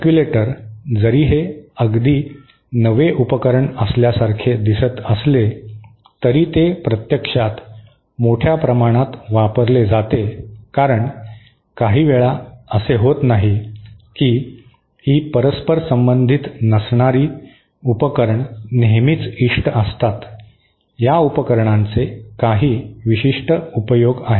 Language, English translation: Marathi, Circulator, even though it might appear to be a very novel device, it is actually quite extensively used because sometimes, it is not that these nonreciprocal devices are always undesirable, there are some very specific uses of these devices